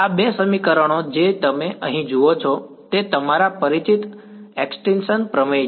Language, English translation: Gujarati, These two equations that you see over here they are your familiar extinction theorem right